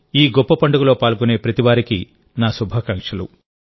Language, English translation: Telugu, My best wishes to every devotee who is participating in this great festival